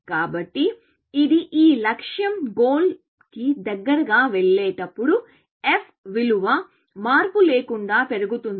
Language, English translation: Telugu, Since, this is, this goal, as go closer to the goal, the f value monotonically increases